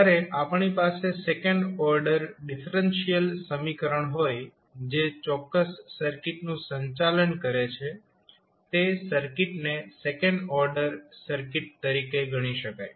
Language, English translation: Gujarati, So, when we have second order differential equation which governs that particular circuit that means that circuit can be considered as second order circuit